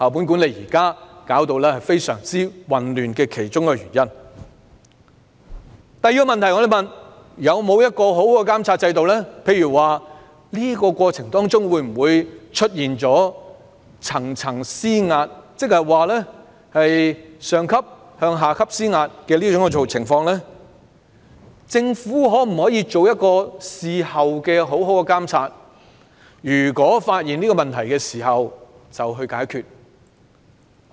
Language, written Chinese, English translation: Cantonese, 第二個問題是，當局有否訂定良好的監察制度，監察在過程中，有否出現"層層施壓"的情況呢？與此同時，政府可否作出良好的事後監察，一旦發現有問題，即着手解決？, The second issue concerns whether the authorities have set up a proper monitoring system to check for the presence of hierarchical pressure in the process; and whether the Government will at the same time properly monitor the situation afterwards and immediately tackle the problems found